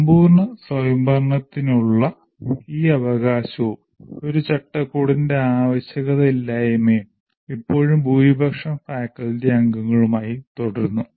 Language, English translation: Malayalam, So this right to total autonomy and no need for a framework still continue with majority of the faculty members